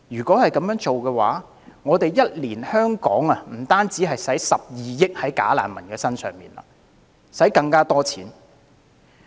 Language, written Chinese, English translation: Cantonese, 這樣的話，香港每年將不止花12億元在"假難民"身上，而是要花更多錢。, In this case the money that Hong Kong spends on bogus refugees will be driven up to over 1.2 billion per year